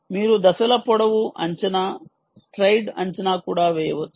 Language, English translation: Telugu, you can also do step length estimation, stride estimation